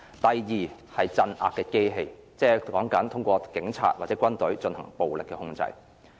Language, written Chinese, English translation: Cantonese, 第二是鎮壓的機器，即是說通過警察或軍隊進行暴力的控制。, RSA is the control through the repression of the police force or army